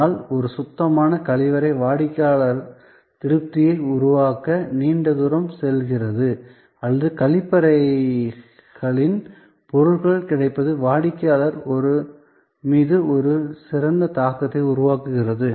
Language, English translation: Tamil, But, a clean toilet goes a long way to create customer satisfaction or goods availability of washrooms create an excellent impression on the customer